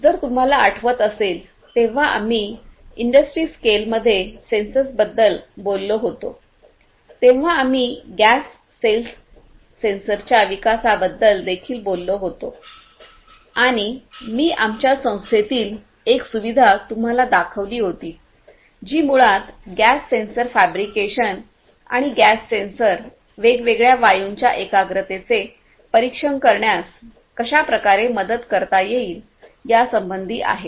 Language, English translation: Marathi, If you recall, when we talked about sensors in the industry scale, we also talked about the development of a gas cells sensor and I had shown you one of the facilities in our institute which basically deals with the gas sensor fabrication and how gas sensors can help in monitoring the concentration of different gases right